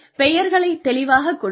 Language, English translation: Tamil, So, give names clearly